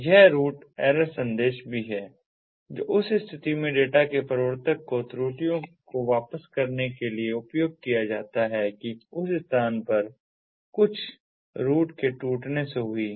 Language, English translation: Hindi, there is also this route error message that is used to return errors to the originator of the data in the event that there is some route breakage that take place